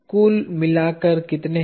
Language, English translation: Hindi, In all, how many